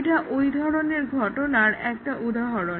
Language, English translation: Bengali, This is just one example in this case